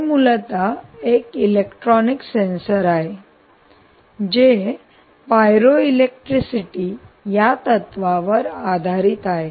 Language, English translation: Marathi, ok, this is essentially a electronic sensor which is based on the principle, the physics behind this is pyroelectricity